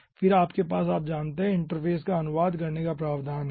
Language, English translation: Hindi, okay, then you have the provision for, you know, translating the interface